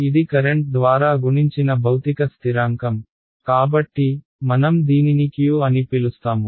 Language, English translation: Telugu, This is physical constant multiplied by the current, so, I am going to call it Q